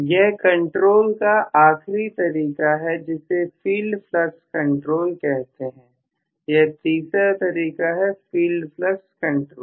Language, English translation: Hindi, Then last type of control is known as field flux control, the third type of control is filed flux control